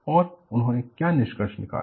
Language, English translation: Hindi, And what they concluded